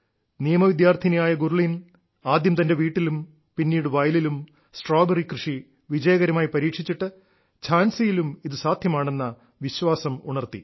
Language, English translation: Malayalam, A Law student Gurleen carried out Strawberry cultivation successfully first at her home and then in her farm raising the hope that this was possible in Jhansi too